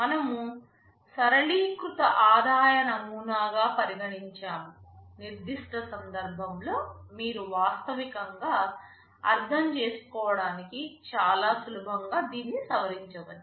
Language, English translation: Telugu, We considered a simplified revenue model, you can modify it very easily to mean whatever is more realistic in your specific case